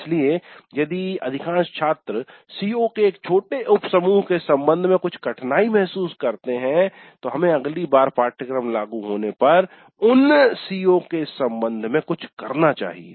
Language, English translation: Hindi, So if most of the students feel certain difficulty with respect to a small subset of COs, then we may have to do something with respect to those COs the next time the course is implemented